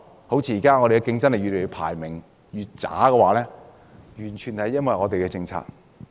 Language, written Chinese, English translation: Cantonese, 香港競爭力排名越來越低，完全是因為我們的政策。, Our competitiveness ranking is on the decline a direct result of our policy